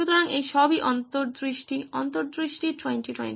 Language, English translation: Bengali, So all this is hindsight, hindsight is 20 20